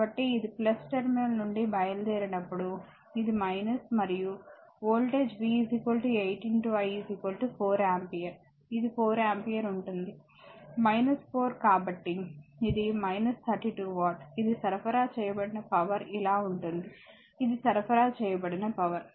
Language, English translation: Telugu, So, when it is leaving the plus terminal it will be minus and voltage is V is equal to 8 into I is equal to your 4 ampere this is the 4 ampere, minus 4 so, this will be minus 32 watt right this is the power supplied right, this is power supplied